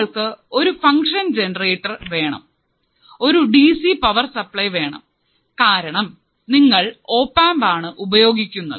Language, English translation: Malayalam, You have to use function generator, you have to apply a dc power supply because you are using an opamp